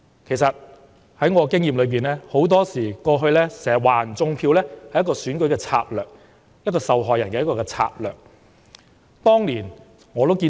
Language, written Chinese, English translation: Cantonese, 其實根據我的經驗，很多時指對手"種票"是選舉策略，指控者以受害人自居的策略。, As observed from my experience it is very often an election tactic to accuse the rival of vote rigging with the accuser playing the part of the victim